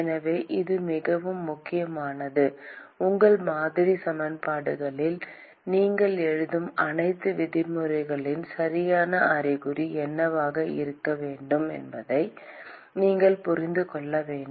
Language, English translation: Tamil, So, this is very important you must be able to intuit what should be the correct sign of all the terms that you write in your model equations